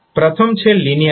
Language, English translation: Gujarati, First is linearity